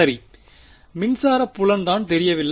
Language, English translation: Tamil, Right the electric field this is what is unknown